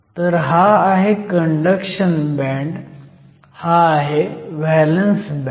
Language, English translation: Marathi, So, you have a conduction band and you have a valence band